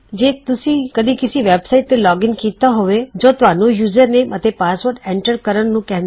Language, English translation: Punjabi, Youve probably logged into a website before and it said to enter your username and password